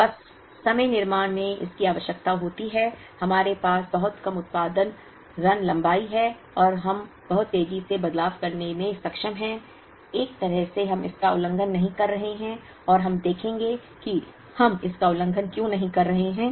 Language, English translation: Hindi, Just in time manufacturing requires that, we have very short production run lengths, and we are able to changeover very quickly, in a way we are not violating it and we will see why we are not violating it